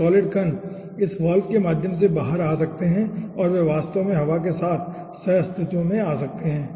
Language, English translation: Hindi, those solid particles can come out through this valve and that can actually come coexistent with the air